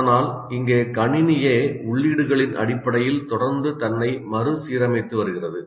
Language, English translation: Tamil, But here the computer itself is continuously reorganizing itself on the basis of input